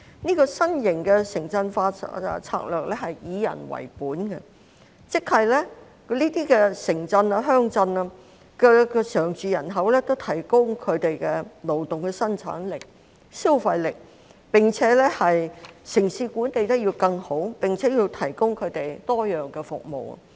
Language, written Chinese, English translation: Cantonese, 這個新型的城鎮化策略是以人為本的，即是這些城鎮、鄉鎮的常住人口，均可提高他們的勞動生產力和消費力，並且城市管理得更好，要為他們提供多樣化服務。, This new urbanization strategy is people - oriented meaning that the permanent population of these towns and villages can help increase labour productivity and consumption power . In addition the cities will be better managed with the provision of a wide variety of services for the residents